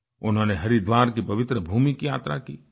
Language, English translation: Hindi, He also travelled to the holy land of Haridwar